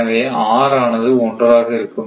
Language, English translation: Tamil, So, N is equal to 2